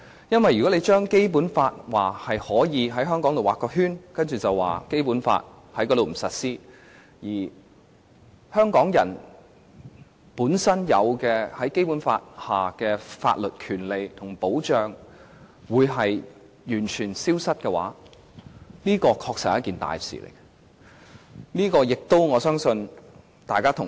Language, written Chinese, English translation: Cantonese, 因為如果你說可以在香港劃一個圈，然後在該處不實施《基本法》，令香港人本身在《基本法》下擁有的法律權利和保障完全消失，這確實是一件大事。, The consequence will indeed be very very serious if we can just mark off a certain place in Hong Kong stop the application of the Basic Law there and suddenly and completely strip Hong Kongs people legal rights and protection under the Basic Law in that particular place